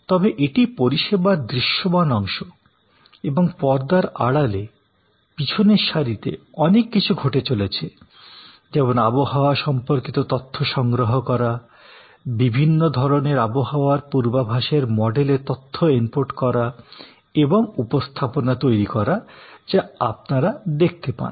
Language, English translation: Bengali, But, if the background to provide this service, so this is the front line, this is the visible part of the service and behind the line, we have collection of weather data, input of the data into various kinds of weather forecast models and creating the presentation material, which is what you see